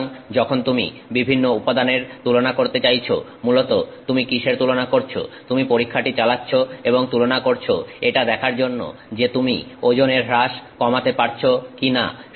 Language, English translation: Bengali, So, when you want to compare different materials, essentially what you are comparing is you are running the test and you are comparing to see if you can to minimize weight loss